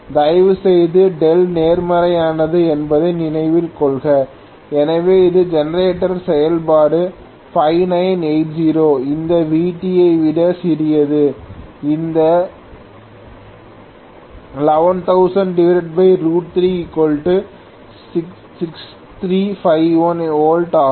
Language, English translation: Tamil, Please note this is coming out to be plus, delta is positive, so it is clearly generator operation 5980 is smaller than this Vt whatever we got this 11000 by root 3 is 6351 volts